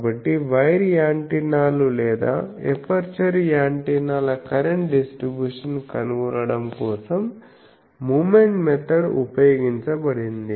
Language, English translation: Telugu, So, current distribution both the for wire antennas or aperture antennas moment methods were used and found out